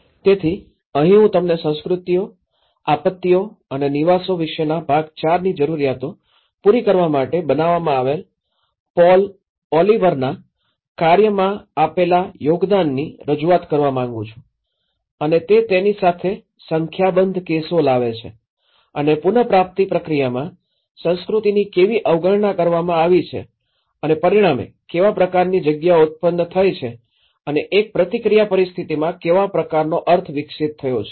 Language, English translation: Gujarati, So, this is where, I would like to introduce you to the contribution of Paul Oliver's work on built to meet needs on especially the part IV on cultures, disasters and dwellings and he brings a number of cases along with it and how culture has been overlooked in the recovery process and as a result what kind of spaces are produced and as a response situation what kind of meanings have developed